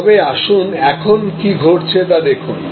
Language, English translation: Bengali, But, let us see what is happening now